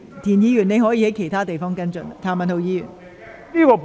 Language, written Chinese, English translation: Cantonese, 田議員，你可在其他場合跟進有關事宜。, Mr TIEN you may follow up the related matters on other occasions